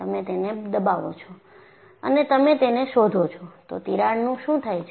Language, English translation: Gujarati, You know you press it, you find, what happens to the crack